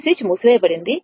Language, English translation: Telugu, This switch is closed right